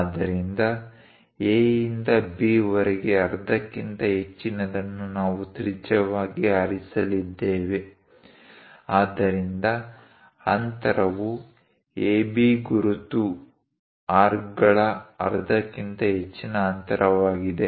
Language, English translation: Kannada, So A to B half of that greater than that we are going to pick as radius; so that one distance greater than half of AB mark arcs